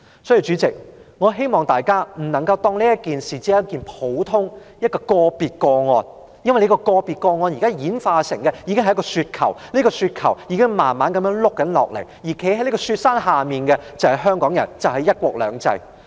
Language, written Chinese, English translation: Cantonese, 代理主席，我希望大家不要把這事視為一件普通或個別的個案，因為這宗個別個案正演化成一個雪球，而這個雪球正慢慢滾下來，站在這個雪山之下的就是香港人和"一國兩制"。, Deputy President I hope Members will not regard this incident as a common or individual case because this individual case is evolving into a snowball and the snowball is slowly rolling down and on the foot of this snowy mountain stands Hong Kong people and one country two systems